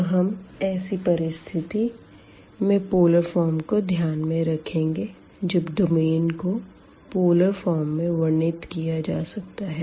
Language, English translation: Hindi, So, the situations we will be considering for the polar form when we have for example the domain which can be described in polar form